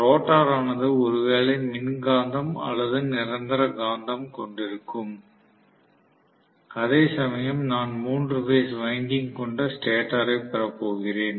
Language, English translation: Tamil, So, the rotor will consist of magnets, maybe electromagnet, maybe permanent magnet, whereas I am going to have the stator having the three phase winding